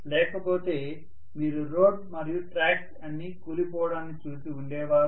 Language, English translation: Telugu, Otherwise you would have seen that the road or the tracks would have collapsed completely